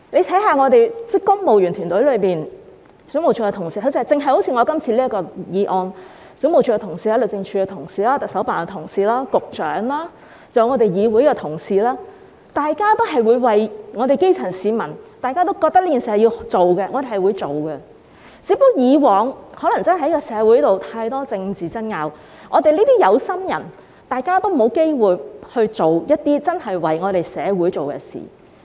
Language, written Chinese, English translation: Cantonese, 大家看看公務員團體內，因為我今次的修訂條例草案，水務署的同事、律政司的同事、行政長官辦公室的同事、發展局局長，還有議會的同事，大家也會為基層市民做事，大家也覺得這件事有需要處理，我們便去處理，只是以往社會上太多政治爭拗，我們這些有心人才沒有機會真正為社會做一些事。, Because of my amendment bill all of us such as the officers at WSD DoJ CEO the Secretary for Development and also our Council staff work hard for the grass roots . We all think that this is something we need to do so we do it . Just that there has been so much political contention in society that we or the people who care did not have the opportunity to truly do something for society